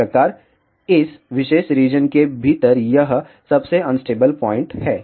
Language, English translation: Hindi, So, this is the most unstable point within this particular region over here